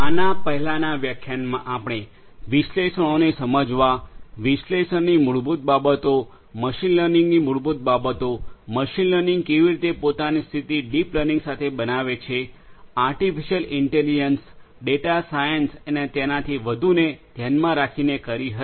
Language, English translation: Gujarati, In the previous lecture we spoke about understanding analytics, the basics of analytics, the basics of machine learning, how machine learning positions itself with deep learning, artificial intelligence, data science and so on